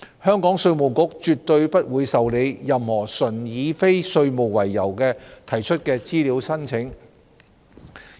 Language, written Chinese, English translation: Cantonese, 香港稅務局絕對不會受理任何純以非稅務為由提出的資料請求。, The Inland Revenue Department IRD of Hong Kong will never entertain any request for information made purely for non - tax related purposes